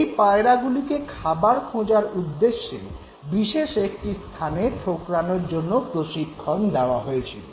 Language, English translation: Bengali, Because the pigeons were trained to pick at a particular location in order to receive food